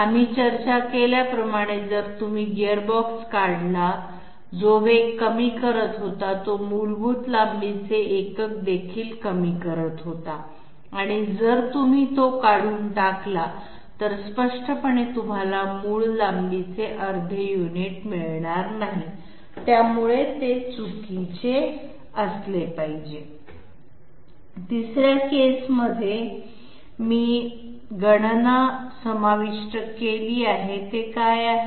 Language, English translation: Marathi, As we discussed, if you remove a gearbox which was doing a reduction in the speed, it was also reducing the basic length unit and if you remove it, obviously you are not going to get half the basic length unit, so it must be incorrect